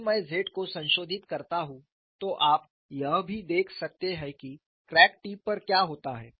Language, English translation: Hindi, If I modify the Z, you could also see what happens at the crack tip